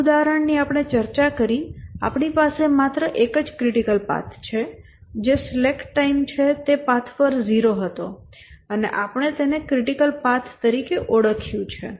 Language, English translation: Gujarati, The one example we discussed, we had only one critical path, that is the slack time where zero on one path and we identified that as a critical path